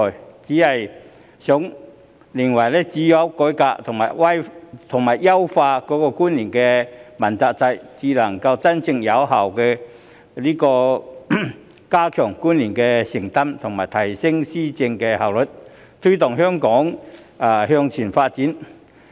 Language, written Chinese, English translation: Cantonese, 我只是認為只有改革和優化主要官員問責制，才能真正有效地加強官員的承擔及提升施政效率，推動香港向前發展。, It is just my opinion that only by reforming and optimizing the accountability system for principal officials can we genuinely and effectively enhance the sense of accountability among principal officials and the efficiency of policy implementation thereby promoting Hong Kongs development